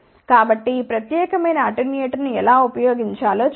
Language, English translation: Telugu, So, we will look at how to use this particular attenuator ok